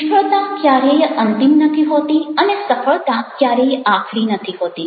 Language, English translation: Gujarati, Failure is never end and success is never final